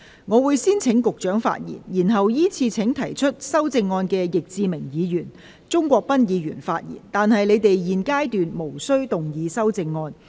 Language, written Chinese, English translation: Cantonese, 我會先請局長發言，然後依次請提出修正案的易志明議員及鍾國斌議員發言，但他們在現階段無須動議修正案。, I will first call upon the Secretary to speak to be followed by Mr Frankie YICK and then Mr CHUNG Kwok - pan who have proposed amendments but they are not required to move their amendments at this stage